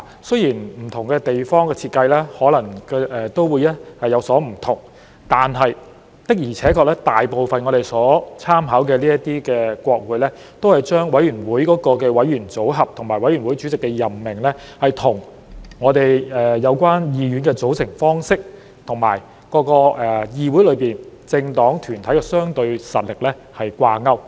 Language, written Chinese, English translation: Cantonese, 雖然不同地方的設計可能有所不同，但我們參考的大部分國會的確把委員會的委員組合和委員會主席的任命，與議院的組成方式和議院中的政黨或團體的相對實力掛鈎。, While the designs may vary in different places most of the Parliaments to which we have made reference actually tie the committee membership and the appointment of committee chairs with the composition of the House and the relative strengths of the political parties or groups represented in the House